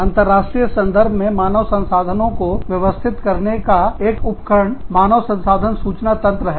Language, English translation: Hindi, One of the tools of managing, human resources in the international context is, the human resource information systems